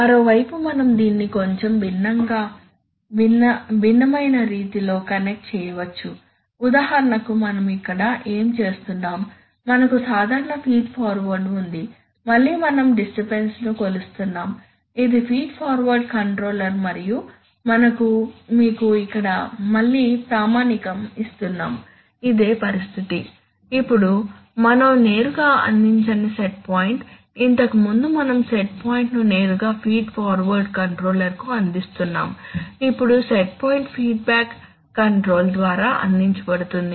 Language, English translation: Telugu, On the other hand we could also connect this in a slightly different way for example here what are we doing here we have the usual feed forward, again we are, again we are measuring the disturbance this is a feed forward controller and we are giving you here standard again the same situation, only now the set point we are not providing directly, previously we are providing the set point directly to the feed forward controller now the set point is being provided by the feedback control